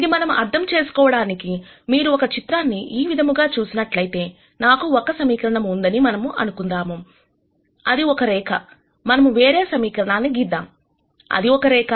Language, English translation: Telugu, And to understand this if you look at a picture like this, let us say I have one equation which is a line, let us draw the other equation which is also a line